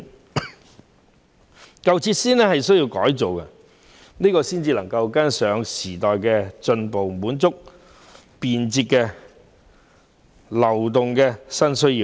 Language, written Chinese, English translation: Cantonese, 為跟上時代的步伐，便得更新舊設施，以滿足便捷流動的新需要。, To stay abreast with the times it is necessary to renovate old facilities to meet the new need for efficient flow of people